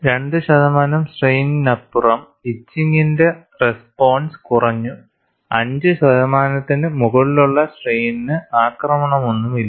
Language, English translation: Malayalam, Beyond 2 percent strain the etching response has diminished and above 5 percent strain, no attack at all